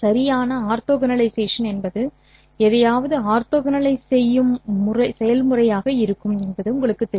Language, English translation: Tamil, In fact, orthogonalization would be a process of orthogonalizing something